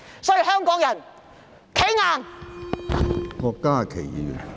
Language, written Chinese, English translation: Cantonese, 所以，香港人要"企硬"！, Therefore Hong Kong people stand strong!